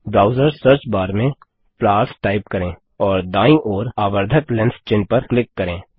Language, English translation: Hindi, In the browsers Search bar, type flowers and click the magnifying lens to the right